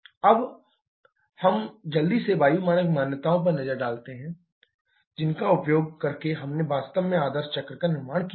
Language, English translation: Hindi, Now let us quickly look at the air standard assumptions using which we have actually plotted the ideal cycle